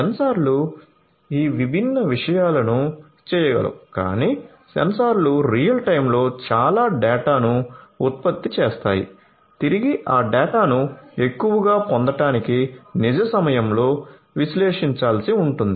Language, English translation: Telugu, So, sensors can do number of these different things, but the sensors will throwing lot of data in real time which will have to be analyzed in real time as well in order to make the most out of those data that that have been retrieved